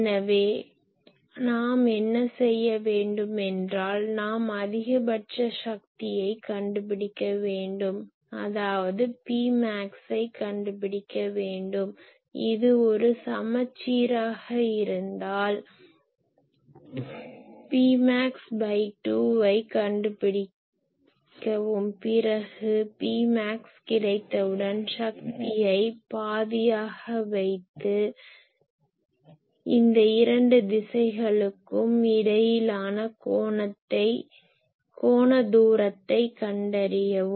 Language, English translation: Tamil, So, what we do we find out that ok what is the maximum power here , let us say P max and find out , if this is a symmetric one like this , then what is the P max by sorry by 2 and point where P max has come power is half and find the angular distance between this two directions